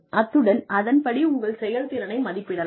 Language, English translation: Tamil, And then, you appraise their performance